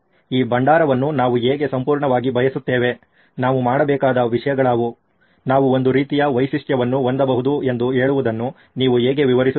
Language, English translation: Kannada, How would you describe this repository saying these are the things that we absolutely want, these are the things that we should, we can have sort of a feature